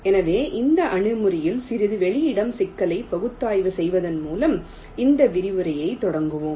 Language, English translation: Tamil, ok, so let us start this lecture by analyzing the space complexity a little bit of these approaches